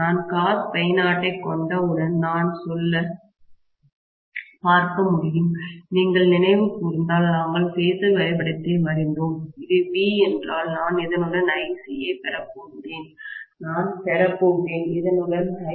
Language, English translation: Tamil, Once I have cos phi naught, I should be able to say, see, we drew the phasor diagram if you may recall, this is V, I am going to have Ic along this and I am going to have to Im along this